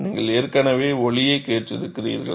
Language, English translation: Tamil, You have already heard the sound